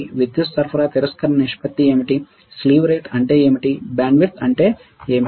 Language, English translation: Telugu, What is power supply rejection ratio right, what is slew rate, what is bandwidth